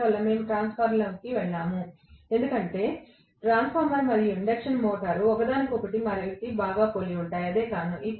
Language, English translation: Telugu, And that is why we went into transformer because transformer and induction motor, resemble each other quite well, that is the reason